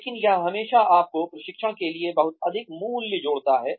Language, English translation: Hindi, But, it always adds a lot of value, to your training